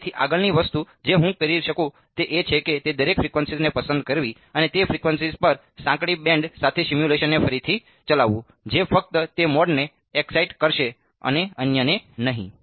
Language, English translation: Gujarati, And so, the next thing I could do is pick each one of those frequencies and re run the simulation with the narrow band at those frequencies that will excide only that mode and not the others right